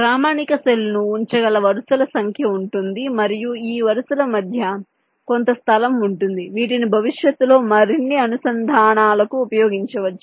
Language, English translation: Telugu, ok, there will be number of rows in which the standard cells can be placed and there will be some space in between which can be used further interconnections